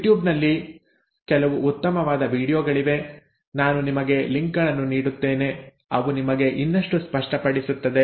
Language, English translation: Kannada, There are some very nice videos on you tube, I will give you links to those, it will make it even clearer to you